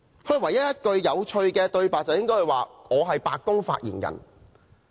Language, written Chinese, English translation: Cantonese, 他唯一一句有趣的對白是"我是白宮發言人"。, The only interesting line he has ever made is I am the White House Press Secretary